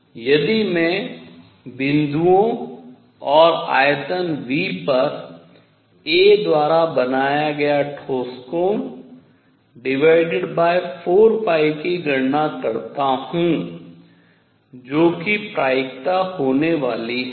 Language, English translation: Hindi, So, if I calculate the solid angle made by a on points and volume V and divided by 4 pi that is going to be the probability